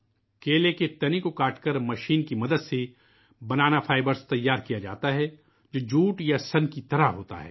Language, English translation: Urdu, Banana fibre is prepared by cutting the stem of a banana with the help of a machine, the fibre is like jute or flax